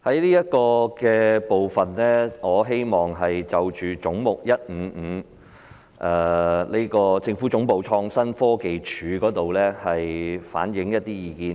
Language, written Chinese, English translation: Cantonese, 在這個部分，我希望就着"總目 155― 政府總部：創新科技署"反映一些意見。, In this speech I am going to express some views on Head 155―Government Secretariat Innovation and Technology Commission